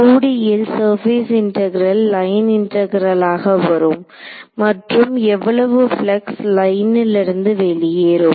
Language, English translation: Tamil, In 2D a surface integral will become a line integral and how much flux is going out of the line ok